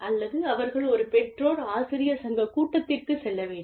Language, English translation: Tamil, And or, they have a PTA meeting, parent teacher association meeting